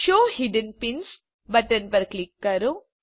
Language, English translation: Gujarati, Click on the Show hidden pins button